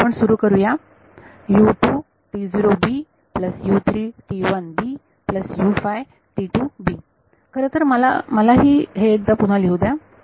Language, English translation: Marathi, Actually let me let me write this once again